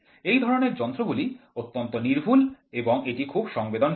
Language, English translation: Bengali, These types of instruments are highly accurate and also it is very sensitive